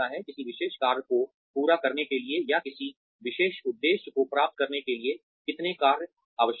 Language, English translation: Hindi, How many jobs are required to finish a particular task, or achieve a particular objective